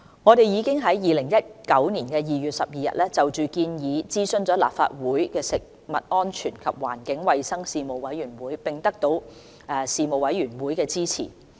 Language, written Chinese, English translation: Cantonese, 我們已於2019年2月12日，就建議諮詢了立法會食物安全及環境衞生事務委員會，並得到事務委員會的支持。, We consulted the Legislative Council Panel on Food Safety and Environmental Hygiene on 12 February 2019 on the proposal and have secured support from the Panel